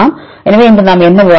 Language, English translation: Tamil, So, what did we discuss today